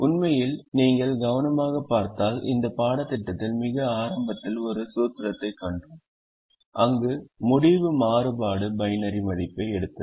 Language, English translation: Tamil, i fact, if you see carefully, we have seen a formulation very early in this course where the decision variable took the binary value